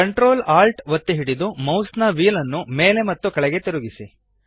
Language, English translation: Kannada, Hold ctrl, alt and scroll the mouse wheel up and down